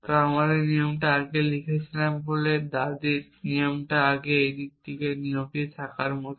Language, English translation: Bengali, So, because I written this rule first this grandmother rule first it is like having this rule on this side